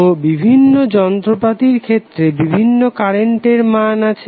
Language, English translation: Bengali, So various appliances will have their own current level